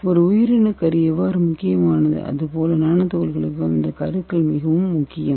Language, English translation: Tamil, So for bio how nucleus is important similarly for nano particle this nuclei is very important